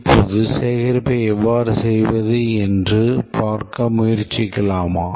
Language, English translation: Tamil, Now let's try to see how to do the gathering